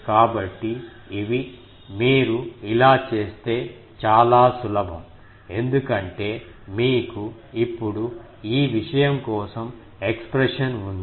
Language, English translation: Telugu, So, these, if you do this is simple because you now have the expression for this thing